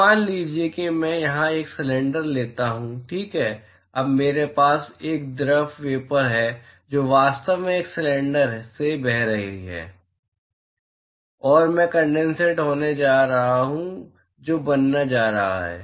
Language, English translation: Hindi, So, suppose I take a cylinder here ok; now I have a fluid vapor which is actually flowing past this cylinder, and I am going to have condensate which is going to form